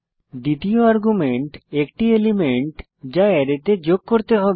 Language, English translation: Bengali, 2nd argument is the element which is to be pushed into the Array